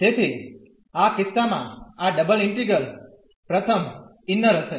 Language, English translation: Gujarati, So, in this case this double integral will be first the inner one